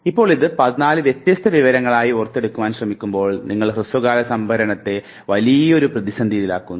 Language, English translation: Malayalam, Now if you want to memorize it as 14 different set of information, you are putting your short term storage in a big problem